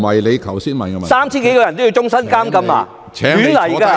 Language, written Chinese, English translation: Cantonese, 難道那3000多人全都要終身監禁嗎？, Could it be the case that the 3 000 - odd people will all be sentenced to life imprisonment?